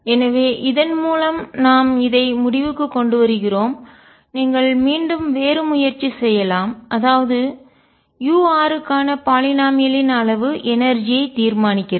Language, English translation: Tamil, So, what we conclude in this through this and you can keep trying it for other else that the degree of polynomial for u r determines the energy